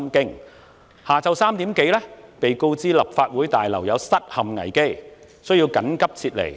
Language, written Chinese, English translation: Cantonese, 當天下午3時多，我們被告知立法會大樓有失陷危機，需要緊急撤離。, At around 3col00 pm that day we were told that the Complex was in danger of being taken over by the demonstrators soon so we had to evacuate